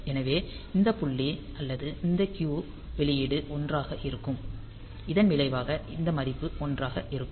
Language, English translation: Tamil, So, this point or this Q output will be at 1; as a result this value will be at 1